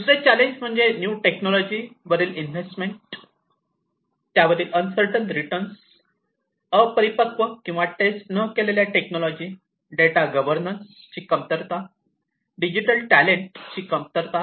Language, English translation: Marathi, Other challenges include uncertain on new technologies, immature or untested technologies, lack of data governance, shortage of digital talent